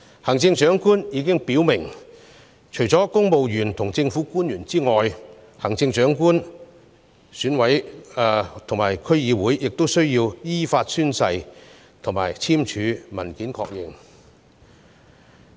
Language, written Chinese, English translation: Cantonese, 行政長官已表明，除了公務員及政府官員外，行政長官選舉委員會及區議會成員亦需要依法宣誓，以及簽署文件確認。, The Chief Executive has made it clear that apart from civil servants and government officials members of the Chief Executive Election Committee CEEC and District Councils DCs are also required to take the oath and confirm in writing their allegiance in accordance with the law